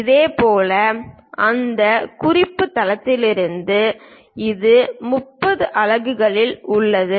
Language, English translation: Tamil, Similarly, from that reference base this one is at 30 units